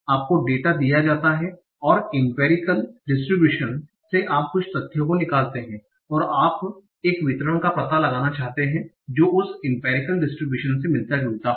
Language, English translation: Hindi, You are given the data and from the empirical distribution you extract certain facts and now you want to find out a distribution that resembles that empirical distribution